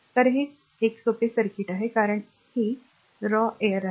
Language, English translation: Marathi, So, this is a simple circuit because this is raw air